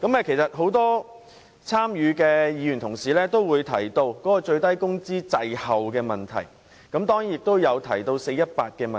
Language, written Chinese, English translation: Cantonese, 其實，很多參與討論的委員均提到最低工資滯後及 "4-18" 的問題。, Many members mentioned the lag of the minimum wage rate and the 4 - 18 issue in the discussion